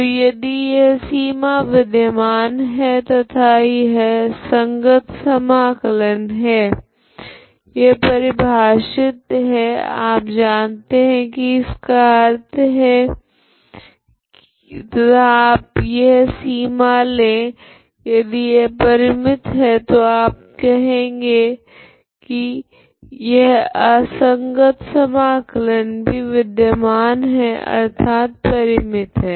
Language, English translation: Hindi, So if this limit exists and these are proper integrals, okay this is defined this you know what it means and you take this limit if this is finite then you say that this is improper integral is also exist that is finite, okay